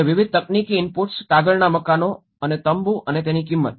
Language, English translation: Gujarati, And different technological inputs, paper houses and tents, the cost of it